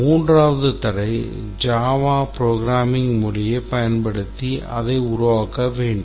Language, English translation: Tamil, It should be developed using Java programming language